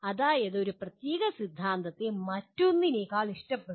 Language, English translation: Malayalam, That means one particular theory is preferred over the other